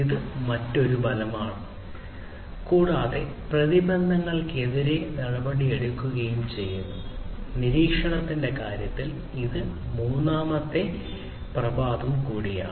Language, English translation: Malayalam, So, this is another effect and taking action against the odds; this is also the third effect in terms of monitoring